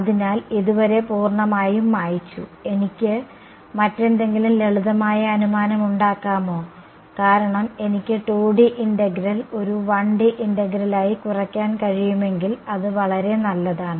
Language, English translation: Malayalam, So, totally cleared so far; can I make some other simplifying assumption to because if I can reduce a 2D integral to a 1D integral, it would be even nice a right hm